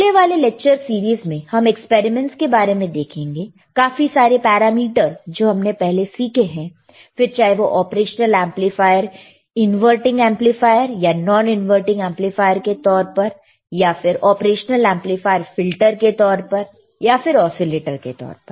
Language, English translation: Hindi, So, in the following lectures series, we will see experiments, and several parameters that we have already learnedt in the previous classes, whether it is operational amplifier you have to use a operational amplifier, as an inverting amplifier or it is a non inverting amplifier, or we talk operation amplifier as a filter or we talk operation amplifier as an oscillator